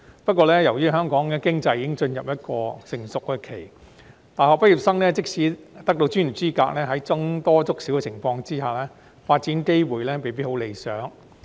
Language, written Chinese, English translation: Cantonese, 不過，由於香港經濟已進入成熟期，大學畢業生即使得到專業資格，在僧多粥少的情況下，發展機會未必很理想。, However as ours is a rather mature economy in the face of fierce competition promising development opportunities may not be available to many university graduates even though they have obtained professional qualifications